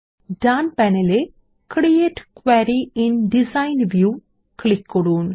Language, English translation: Bengali, On the right panel, we will click on the Create Query in Design view